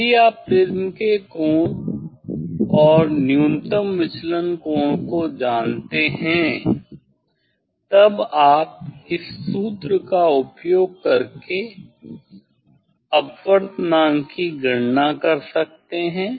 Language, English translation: Hindi, if you know the angle of prism and the minimum deviation; this refractive index you can calculate from using this formula